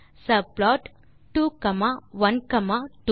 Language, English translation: Tamil, Then subplot 2 comma 1 comma 1